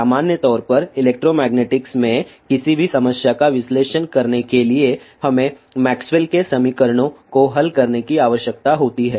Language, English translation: Hindi, In general to analyze any problem in electromagnetics we need to solve Maxwell's equations